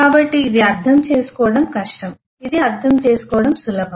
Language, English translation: Telugu, So this is is difficult to comprehend this is easy to comprehend